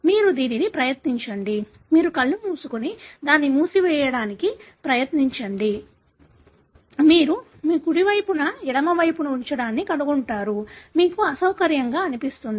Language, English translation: Telugu, You try it out; you close your eyes and try to close it, you will find putting your right over left, you will feel it is uncomfortable